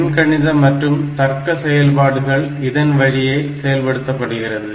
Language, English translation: Tamil, So, whatever the arithmetic logic operations are necessary